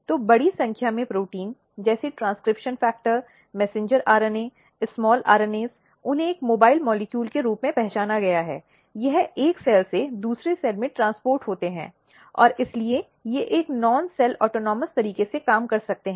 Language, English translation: Hindi, So, large number of proteins like transcription factor, messenger RNA, small RNAs, they have been identified as a mobile molecule, they get transported from one cell to another cell, and they can therefore, work in a non cell autonomous manner